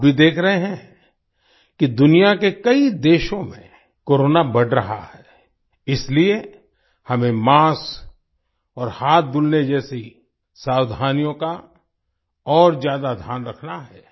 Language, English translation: Hindi, You are also seeing that, Corona is increasing in many countries of the world, so we have to take more care of precautions like mask and hand washing